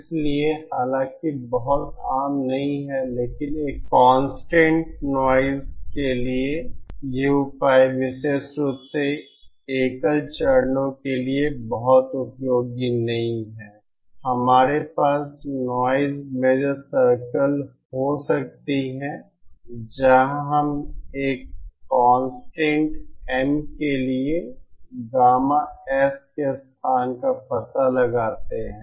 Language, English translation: Hindi, So though not very common but these for a constant noise measure not very useful especially for single stages, but we can have noise measure circles where we trace the locus of gamma S for a constant M